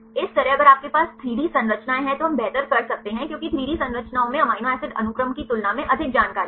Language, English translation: Hindi, Likewise if you have the 3D structures we can do better because 3D structures contain more information than amino acid sequences